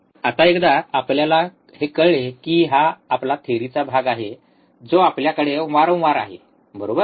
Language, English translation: Marathi, Now, once we know this which is our theory part which we have kind of repeated, right